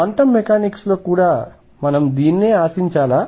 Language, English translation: Telugu, should we expect the same in quantum mechanics